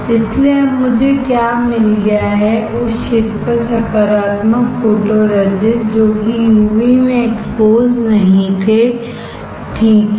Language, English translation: Hindi, So, now, I have got of what is the positive photoresist on the area which were not exposed which were not exposed in UV, right